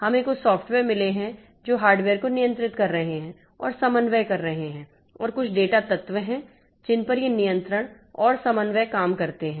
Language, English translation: Hindi, We have got some software which are controlling the hardware and doing the coordination and there are some data elements on which this control and coordination works